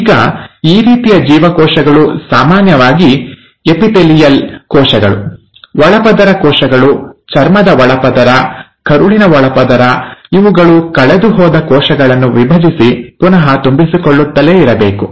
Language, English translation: Kannada, Now these kind of cells, which are usually the epithelial cells, the lining cells, the lining of the skin, the lining of the gut, they have to keep on dividing and replenishing the lost cells